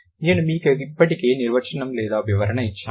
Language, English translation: Telugu, I have already given you the definition or the explanation